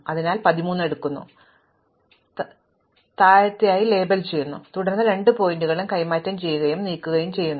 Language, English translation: Malayalam, So, I take 13, I label it as lower, then I exchange and move both points